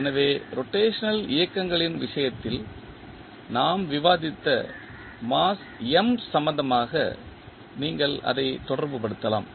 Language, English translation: Tamil, So, you can correlate it with respect to the mass m which we discussed in case of translational motions